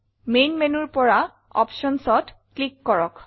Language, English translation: Assamese, From the Main menu, click Options